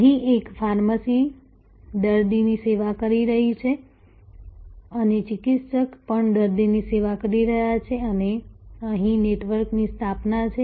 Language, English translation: Gujarati, So, there is a pharmacy is serving the patient and the therapist is also serving the patient and there is a network formation here